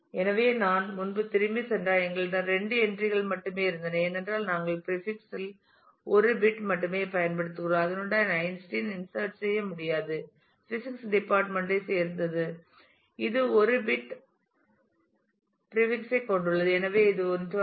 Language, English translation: Tamil, So, if I just go back earlier we had only two entries because we are using only 1 bit in the prefix and with that I could not have inserted Einstein oh is from department of physics which also has a 1 bit prefix which is 1 it was